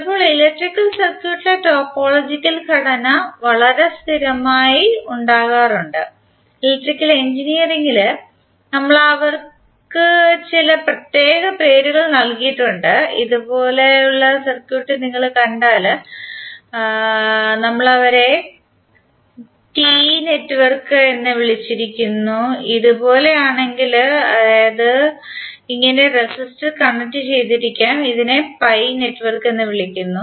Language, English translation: Malayalam, Sometimes the topological structure in the electrical circuit occur so frequently that in Electrical Engineering we have given them some special names, like if you see circuit like this we called them as T network, if it is like this were you may have resistor connected like this then it is called pi network